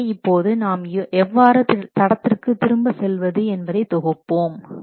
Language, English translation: Tamil, So, now let's summarize what you have studied, how to get back on track